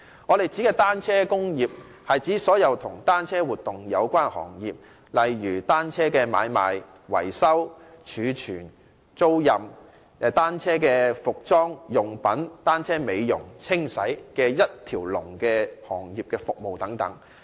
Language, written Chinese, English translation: Cantonese, 我們指的單車工業，是指所有與單車活動有關的行業，例如單車買賣、維修、儲存、租賃，以及單車服裝、用品、美容、清洗等行業的一條龍服務。, The bicycle industry referred to by us covers all industries related to cycling activities such as one - stop services ranging from bicycle trading maintenance storage and rental to bicycle wear accessories beauty cleansing and so on